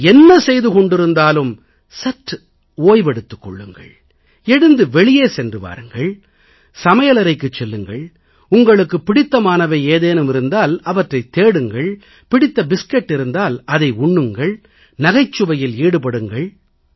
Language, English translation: Tamil, Whatever you are doing, take a break, have a stroll outside, enter the kitchen, look for something that you relish to eat, munch on your favourite biscuit if possible, tell or listen jokes and laugh for a while